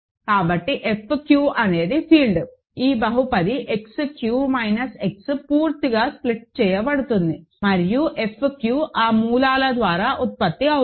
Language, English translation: Telugu, So, F q is a field where this polynomial X q minus X splits completely and F q is generated by those roots